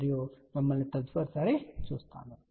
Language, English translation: Telugu, Thank you and we will see you again next time bye